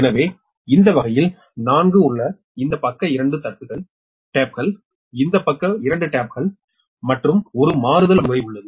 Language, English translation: Tamil, so in this case there are four taps this side, two taps, this side, two taps and a switching mechanism is there